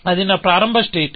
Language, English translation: Telugu, That is my starting state